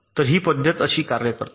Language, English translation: Marathi, ok, so this method works like this